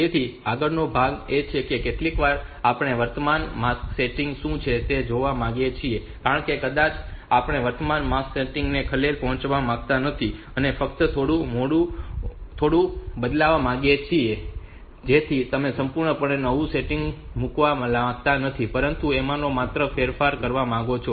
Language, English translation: Gujarati, So, next part is sometimes we would like to see what is the current mask setting because may be we are we do not want to disturb the current mask setting only change it a bit so you do not want to put a completely new setting, but just want to change the bit